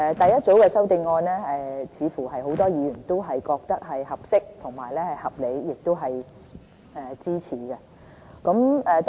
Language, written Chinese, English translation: Cantonese, 第一組修正案似乎很多議員都覺得是合適和合理，亦是值得支持的。, It seems that the first group of amendments is considered fine and reasonable as well as worthy of support